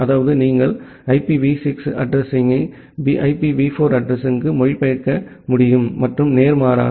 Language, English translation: Tamil, That means you should be able to translate the IPv6 address to IPv4 address and the vice versa